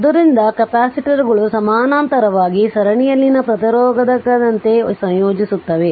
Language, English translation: Kannada, So, note that capacitors in parallel combining the same manner as resistor in series